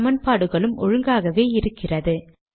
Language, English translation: Tamil, But the equations are not aligned